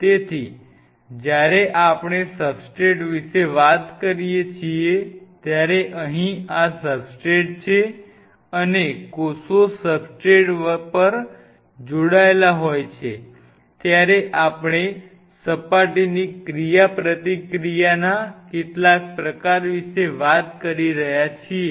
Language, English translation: Gujarati, So, when we talk about a substrate here is a substrate and cells are attaching on the substrate we are talking about some form of surface interaction